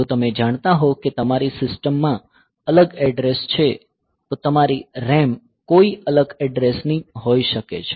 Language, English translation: Gujarati, So, if you know that if you know some different address in your system your RAM maybe from some different address